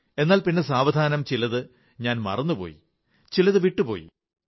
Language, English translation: Malayalam, But gradually, I began forgetting… certain things started fading away